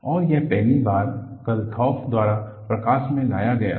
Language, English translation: Hindi, And, this was first brought into focus by Kathoff